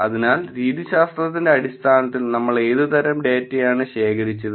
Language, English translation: Malayalam, So, in terms of methodology, what kind of data did we collect